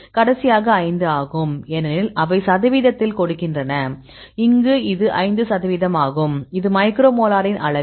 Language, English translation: Tamil, The last one is 5 because they give in percentage; so in this case it is 5 percentage this is the unit of the micro molar